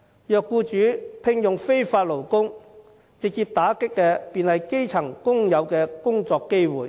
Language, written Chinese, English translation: Cantonese, 如果僱主聘用非法勞工，直接打擊的就是基層工友的工作機會。, The employment of illegal workers will deal a direct blow to the working opportunities of grass - roots workers